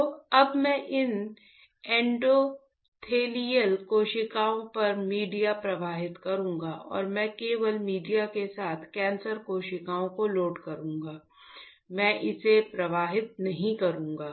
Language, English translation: Hindi, So now, I will and then I will flow the media on these endothelial cells and I will just load the cancer cells with media, I will not flow it